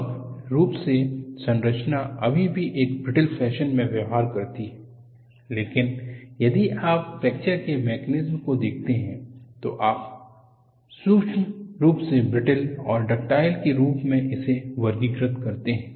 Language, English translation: Hindi, The structure as a whole, still behaves in a brittle fashion, but if you go and look at the mechanisms of fracture, you classify in a certain fashion as brittle and ductile